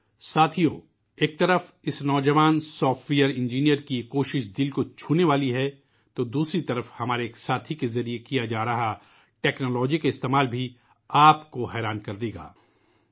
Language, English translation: Urdu, Friends, on the one hand this effort of a young software engineer touches our hearts; on the other the use of technology by one of our friends will amaze us